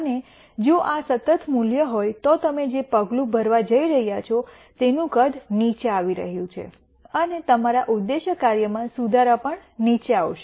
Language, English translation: Gujarati, And if this is a constant value the size of the step you are going to take is going to come down and also the improvement in your objective function is going to come down